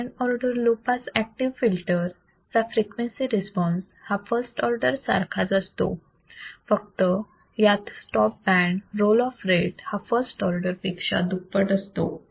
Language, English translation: Marathi, The frequency response of the second order low pass active filter is identical to that of first order, except that the stop band roll off rate will be twice of first order